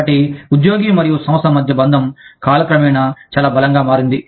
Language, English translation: Telugu, So, the bond between the employee and the organization, has become much stronger, over time